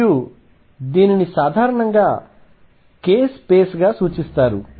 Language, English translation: Telugu, And by the way this is usually referred to as the k space